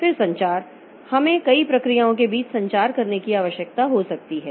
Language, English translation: Hindi, Then communication, we may need to have communication between number of processes